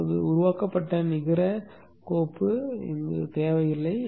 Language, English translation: Tamil, Now you don't need to have generated the net file